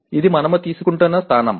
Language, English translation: Telugu, This is the position we are taking